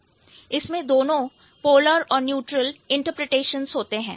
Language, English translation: Hindi, It has both the polar and the neutral interpretation